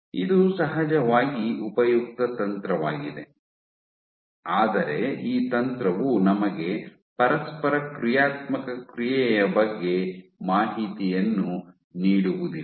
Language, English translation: Kannada, So, this is of course, useful technique, but what this information what this technique does not give us information is about dynamic interaction